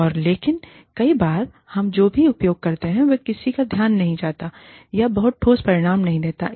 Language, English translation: Hindi, And, but many times, whatever we use, either goes unnoticed, or does not yield, very tangible results